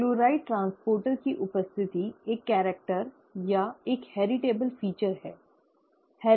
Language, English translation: Hindi, The presence of the chloride transporter is a character or a heritable feature, okay